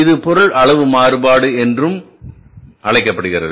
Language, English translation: Tamil, This is called as a material quantity variance also